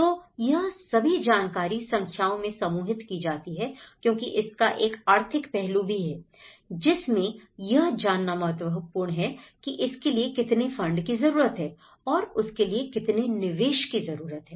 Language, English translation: Hindi, So, they are all narrowed down to numbers but that is where it is more to do with the economic aspect how much fund is required for it, how much investment is needed for that